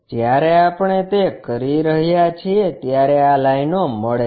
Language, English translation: Gujarati, When we are doing that, we get these lines